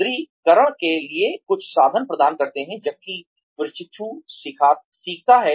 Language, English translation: Hindi, Provide some means for reinforcement, while the trainee learns